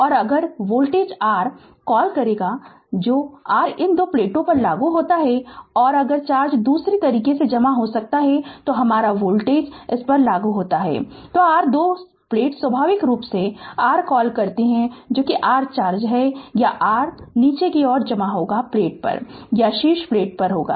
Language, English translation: Hindi, And if voltage your what you call that applied across the your these two plates, so and if charge gets accumulated in other way, so our voltage if you apply across this, your two plates naturally your what you call that your charge will your accumulate either at the bottom plate or at the top plate